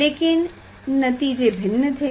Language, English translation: Hindi, What was the result